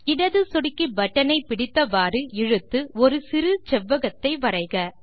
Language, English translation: Tamil, Hold the left mouse button and drag to draw a small rectangle